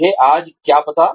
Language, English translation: Hindi, What do I know today